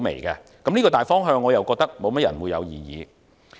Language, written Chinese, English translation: Cantonese, 我認為這個大方向沒有人會有異議。, I believe no one would raise objection to this general direction